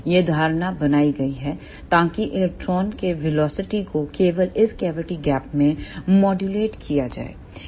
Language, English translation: Hindi, This assumption is made, so that the velocity of electrons is modulated only in this cavity gap